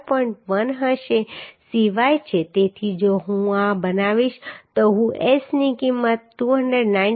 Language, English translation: Gujarati, 1 is the Cyy so if I make this I can get the S value as 299